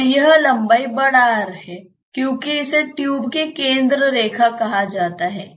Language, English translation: Hindi, This is capital R because this is say the centre line of the tube